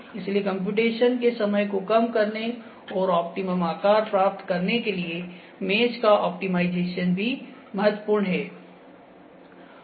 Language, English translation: Hindi, So, optimization of mesh to reduce the time of computation and to get the optimum shape as well, it is also important